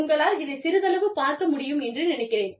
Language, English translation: Tamil, I think, you can see it, a little bit